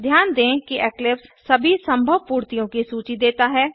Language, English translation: Hindi, Notice that eclipse gives a list of all the possible completions